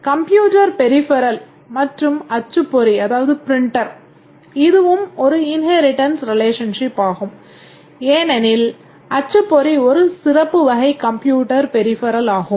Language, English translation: Tamil, Computer peripheral and printer, this is also an inheritance relationship because a printer is a special type of computer peripheral